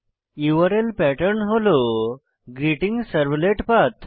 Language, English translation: Bengali, The URL pattern should be GreetingServletPath